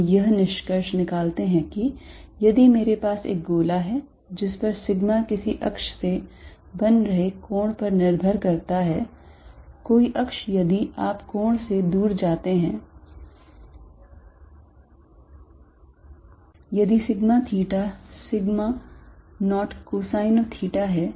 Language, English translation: Hindi, We conclude that if I have a sphere over which sigma depends on the angle from some axis, some axis if you go away by an angle theta, if sigma theta is sigma 0 cosine of theta